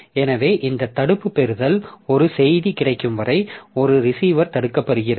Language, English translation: Tamil, So this blocking receive is the receiver is blocked until a message is available